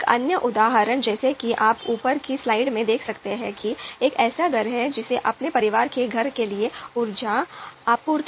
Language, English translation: Hindi, The another example as you can see in the slide is a household may need to select an energy supplier for their family home